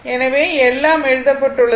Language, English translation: Tamil, So, everything is written the